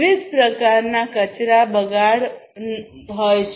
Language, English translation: Gujarati, So, there are different types of wastes